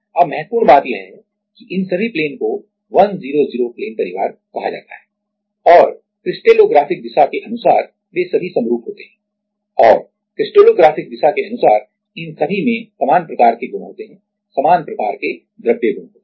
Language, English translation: Hindi, Now, the important point is that all of these plane are called like 100 plane family and crystallographic direction wise they all have the similar kind and the crystallographic direction wise they all have similar kind of property similar kind of material property